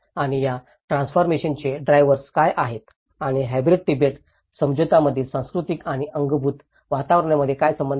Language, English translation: Marathi, And what are the drivers of these transformations and what is the relationship between the cultural and the built environments in a hybrid Tibetan settlement